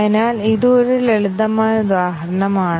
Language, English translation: Malayalam, So, this is one simple example